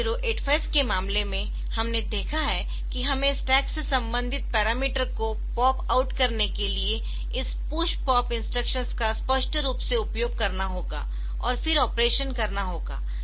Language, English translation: Hindi, So, you need to in case of 8085 we have seen that we have to explicitly use this push pop instructions to pop out the corresponding parameter from the stack, and then do the operation